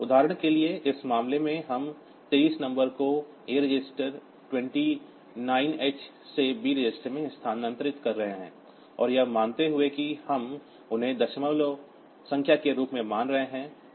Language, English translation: Hindi, For example, in this case we are moving the number 23 h to A register, 29 h to B register, and assuming that we are treating them as a decimal number